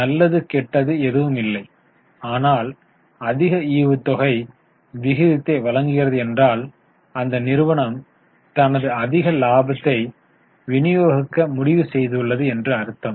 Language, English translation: Tamil, There is nothing good or bad, but higher ratio signifies that company is able to, company has decided to distribute more profits